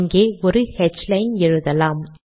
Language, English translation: Tamil, Lets put a h line here